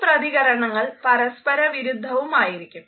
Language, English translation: Malayalam, These responses are contradictory